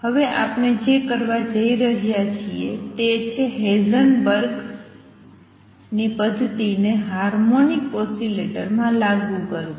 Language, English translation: Gujarati, What we are going to do now is apply Heisenberg’s method to a harmonic oscillator which also heated in his paper